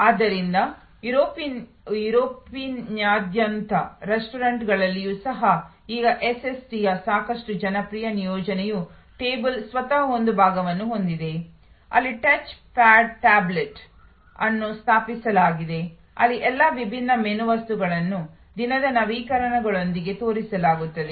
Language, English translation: Kannada, So, even in restaurants across Europe, now a quite popular deployment of SST is the table itself has a portion, where a touch pad tablet is installed, where all the different menu items are shown with a updates for the day